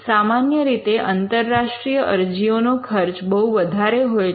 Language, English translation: Gujarati, Usually, the cost of filing international applications is very high